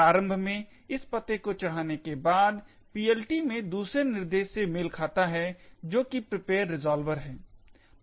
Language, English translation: Hindi, Initially, after loading this address, corresponds to the second instruction in the PLT which is the prepare resolver